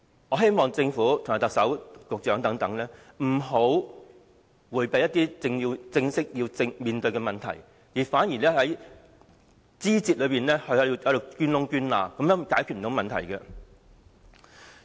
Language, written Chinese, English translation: Cantonese, 我希望政府、特首和局長等不要迴避必須正視的問題，不要在枝節中鑽空子，這樣是無法解決問題的。, I hope the Government the Chief Executive and the Secretary will not evade problems that they must address squarely and not avail themselves of the loopholes in minor matters . No problem can be solved in such a way